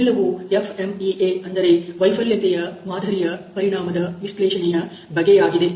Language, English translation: Kannada, So, that is what FMEA of a failure mode effect analysis these about